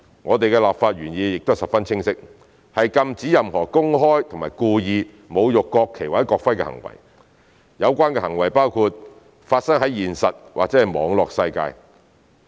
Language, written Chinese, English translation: Cantonese, 我們的立法原意亦十分清晰，是禁止任何公開及故意侮辱國旗或國徽的行為，這包括發生在現實或網絡世界的行為。, Our legislative intent is very clear that is to prohibit all public and intentional desecrating acts in relation to the national flag and national emblem including acts committed in both real life and on online platforms